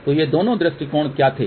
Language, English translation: Hindi, So, what were that these two approaches